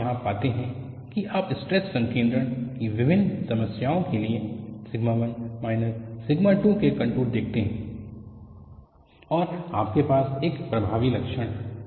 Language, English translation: Hindi, So, what you find here is you seecontours of sigma 1 minus sigma 2 for different problems of stress concentration, and you have a striking feature